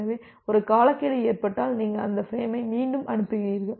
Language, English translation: Tamil, So, if there are if a timeout occurs then you retransmit that frame again